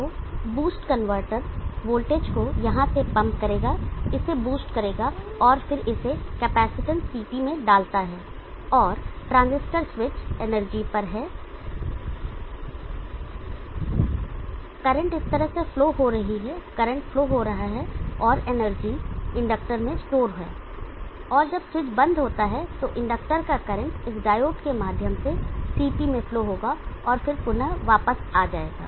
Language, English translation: Hindi, So the boost converter will pump the voltage from here boost it and then puts it into the capacitance CT so and the transistors switch is on the energy the power is flowing through in this fashion current is flowing through and the energy stored in the inductor and when the switch is of the current of the inductor will flow through this diode into the CT and the back again